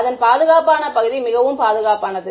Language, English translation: Tamil, So, that is safe, the safe part of it